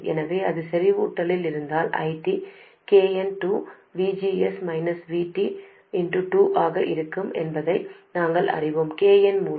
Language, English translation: Tamil, So, we also know that if it is in saturation, ID will be KN by 2